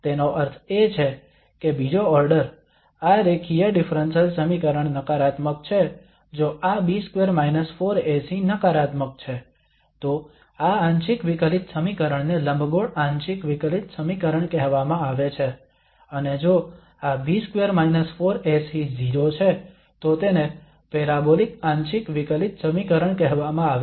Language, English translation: Gujarati, That means the second order, this linear differential equation is negative if this B square minus 4 AC is negative then this partial differential equation is called elliptic partial differential equation, and if this B square minus 4 AC is 0 then it is called a parabolic partial differential equation